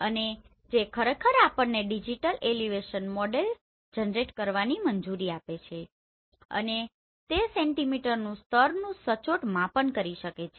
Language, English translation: Gujarati, And which actually allows us to generate the digital elevation model and it can centimeter level accurate